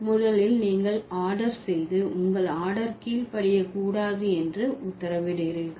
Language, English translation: Tamil, First you are ordering and you are ordering that your order order should not be obeyed